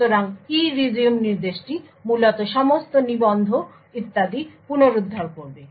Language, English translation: Bengali, So, the ERESUME instruction would essentially restore all the registers and so on